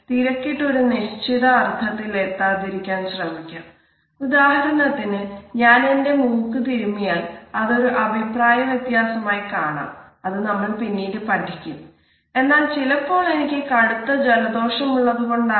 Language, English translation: Malayalam, For example, I may rub my nose, it is known as a difference of gesture as we would discuss later on, but right now maybe I am suffering from a bad cold and I have an a itching